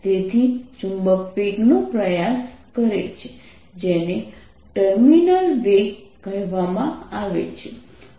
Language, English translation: Gujarati, so the, the, the magnet attempts velocity, which is called terminal velocity